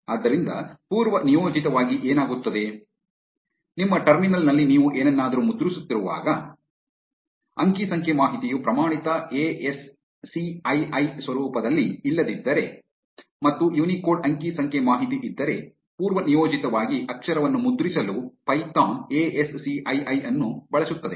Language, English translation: Kannada, So, what happens is by default, when you are printing something on your terminal, if the data is not in the standard ASCII format and if there is a Unicode data; by default python uses ASCII to print character